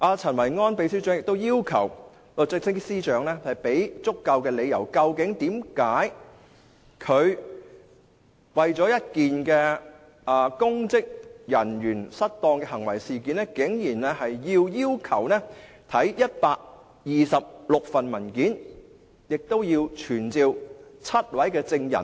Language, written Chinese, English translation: Cantonese, 陳維安秘書長亦要求律政司司長給予足夠理由，說明為何他為了一件公職人員行為失當的事件，竟然要求看126份文件，亦要傳召7位證人。, Secretary General Kenneth CHEN also asks the Secretary for Justice to provide the supporting reasons as to why he needs to study the 126 specified documents and summon seven witnesses to testify for an incident concerning a charge of Misconduct in Public Office